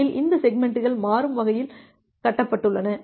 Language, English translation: Tamil, First of all this segments are constructed dynamically